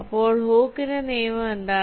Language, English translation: Malayalam, so what is hookes law